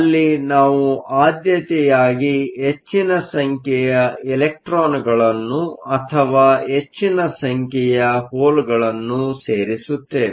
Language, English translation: Kannada, Where, we could have selectively either more number of electrons or more number of volts